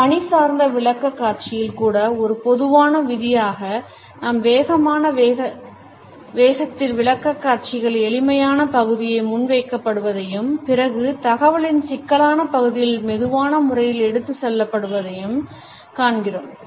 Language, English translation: Tamil, Even in official presentation we find that as a general rule we present the easy portions of our message and presentation in a faster speed and the complicated parts of the information are passed on in a slow manner